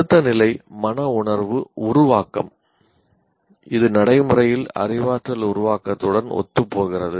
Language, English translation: Tamil, Now the next level, affective create, now it is practically coincides with that of cognitive create